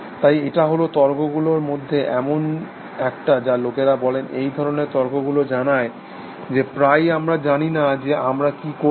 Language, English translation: Bengali, So, this is one of the arguments which people say these kinds of arguments which say that we often do not know what we are doing